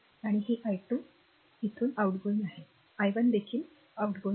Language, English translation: Marathi, And this is i 2 is leaving i 1 is also leaving